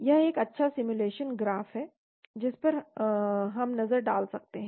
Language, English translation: Hindi, This is a nice simulation graph which we can have a look at